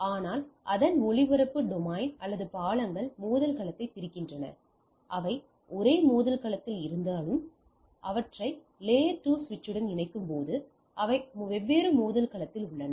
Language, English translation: Tamil, But same broadcast domain or bridges also separate the collision domain even if they are in the same collision domain when I bridge them with layer 2 switch they are in the different collision domain